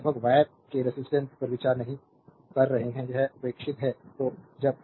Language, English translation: Hindi, So, approximately we are not considering the resistance of the wire it is neglected